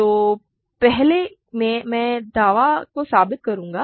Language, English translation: Hindi, So, first I will prove this claim